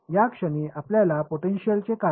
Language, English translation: Marathi, What about the potential at the at this point